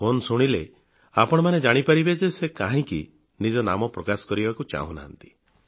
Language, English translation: Odia, When you listen to the call, you will come to know why he does not want to identify himself